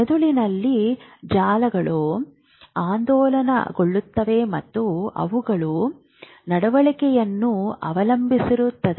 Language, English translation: Kannada, Brain networks oscillate and they are behavior dependent